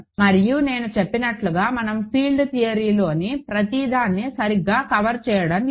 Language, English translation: Telugu, And as I said we are not covering everything in field theory right